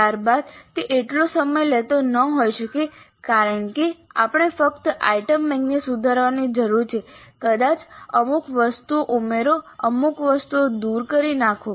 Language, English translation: Gujarati, Subsequently it may not be that much time consuming because we need to only revise the item bank maybe add certain items, delete certain items